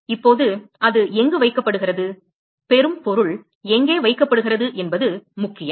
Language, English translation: Tamil, Now if matters where it is being placed, where the receiving object is being placed